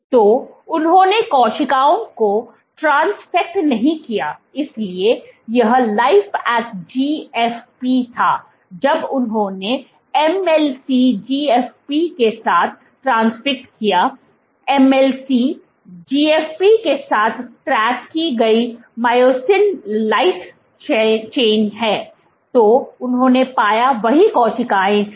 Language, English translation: Hindi, So, they did not transfected cells, so this was Lifeact GFP, when they transfected with MLC GFP; MLC is myosin light chain tagged with GFP, what they found was the same cells